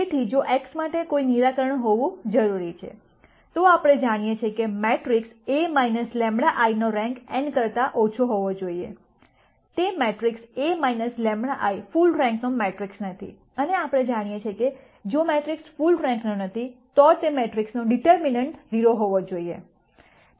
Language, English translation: Gujarati, So, if there needs to be a solution for x, then we know that the rank of the matrix A minus lambda I has to be less than n; that is the matrix A minus lambda I is not a full rank matrix, and we know that if the matrix is not full rank then the determinant of that matrix has to be 0